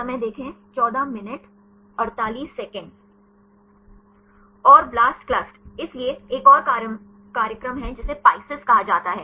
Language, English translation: Hindi, And the blastclust; so, there is another program that’s called PISCES